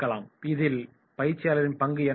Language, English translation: Tamil, What will be the role of the trainer